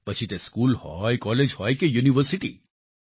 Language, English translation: Gujarati, Whether it is at the level of school, college, or university